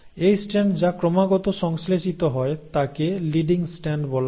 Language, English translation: Bengali, This strand which is continuously synthesised is called as the leading strand